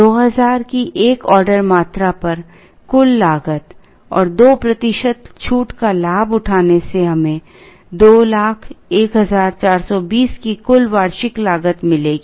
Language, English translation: Hindi, The total cost at an order quantity of 2000 and availing at 2 percent discount would give us a total annual cost of 201420